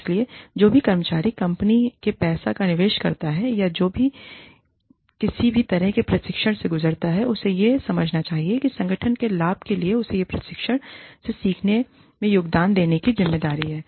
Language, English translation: Hindi, So, any employee, who invests the company money, or who goes through, any kind of training, should understand that, she or he has a responsibility, of contributing the learning from this training, to the benefit of the organization